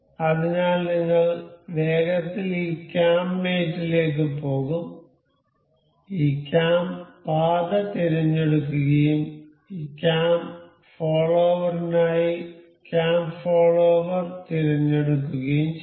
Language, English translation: Malayalam, So, we will quickly go to this cam mate, we will select this cam path and cam follower for this cam follower we need to select the vertex of this